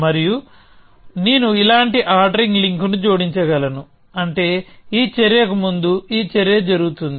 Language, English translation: Telugu, And I can add an ordering link like this which means this action happens before this action